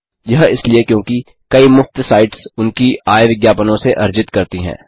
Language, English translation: Hindi, * This is because, many free sites earn their income from ads